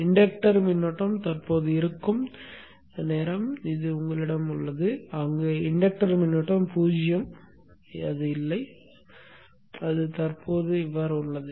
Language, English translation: Tamil, You have a period where the inductor current is present, period where the inductor current is zero, not present